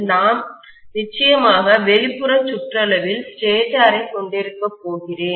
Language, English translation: Tamil, I am definitely going to have probably the stator as the outer periphery